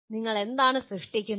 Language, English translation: Malayalam, What do you generate